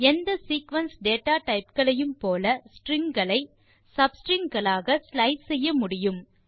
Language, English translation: Tamil, As with any of the sequence data types, strings can be sliced into sub strings